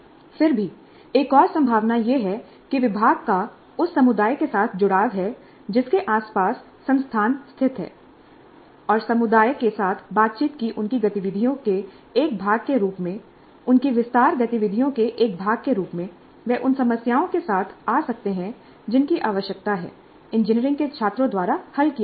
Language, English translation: Hindi, Yet another possibility is that the department has an engagement with the community around which the institute is located and as a part of their activities of interaction with the community, as a part of their extension activities, they may come up with problems which need to be solved by the engineering students